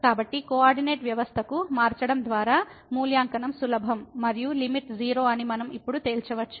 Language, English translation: Telugu, So, by changing to the coordinate system, the evaluation was easy and we could conclude now that the limit is 0